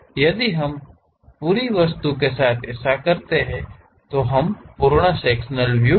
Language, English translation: Hindi, If we do that with the entire object, then we call full sectional view